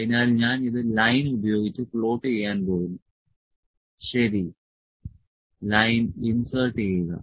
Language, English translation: Malayalam, So, I am going to plot this using the line, ok, insert line